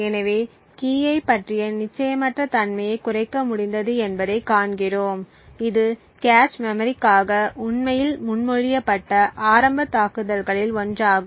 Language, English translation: Tamil, So, thus we see that we have been able to reduce the uncertainty about the key, this is one of the initial attacks that was actually proposed for cache memory